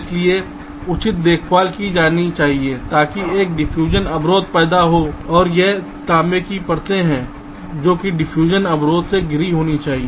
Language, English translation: Hindi, so proper care has to be taken so that a diffusion barrier is created, and this copper layers are wires must be surrounded by the diffusion barrier